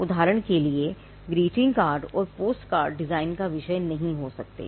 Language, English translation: Hindi, For instance, greeting cards and postcards cannot be a subject matter of a design right